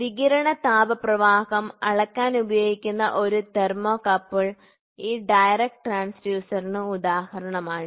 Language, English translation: Malayalam, A thermocouple that is used to measure temperature radiation heat flow is an example for this transducer direct